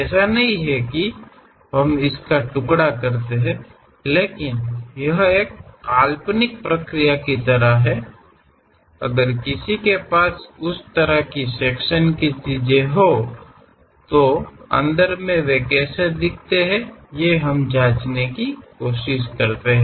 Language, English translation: Hindi, It is not that we slice it, but it is more like an imaginary process; if one can really have that kind of sectional thing, in inside pass how do they look like